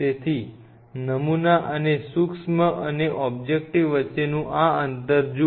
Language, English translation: Gujarati, So, look at this distance between the sample and the micro and the objective tip